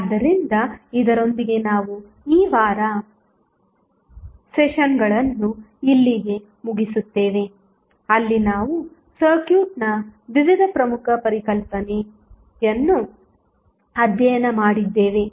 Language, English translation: Kannada, So, with this we close this week sessions where we studied various key concept of the circuit